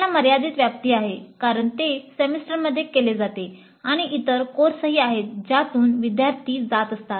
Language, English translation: Marathi, It has a limited scope because it is done within a semester and also there are other courses through which the students go through